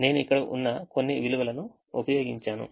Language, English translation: Telugu, i have just used some values that are here